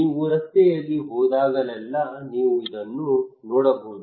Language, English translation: Kannada, Every time you go on road you can see this one